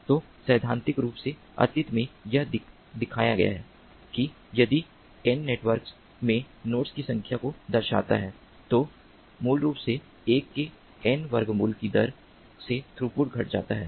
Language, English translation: Hindi, so, theoretically, in the past it has been shown that if n denotes the number of nodes in the network, then the throughput basically decreases at the rate of one over square root of n